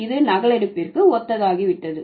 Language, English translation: Tamil, This has become synonymous to photocopying